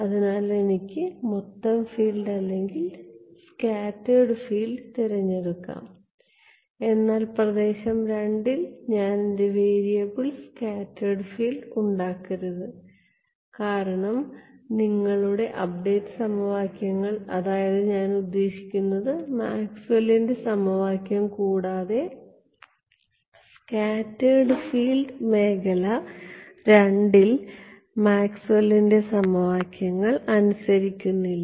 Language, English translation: Malayalam, So, I can choose the total field or the scattered field, but in region II I should not make my variable scattered field, because your update equations and I mean Maxwell’s equation scattered field does not obey Maxwell’s equations in the region II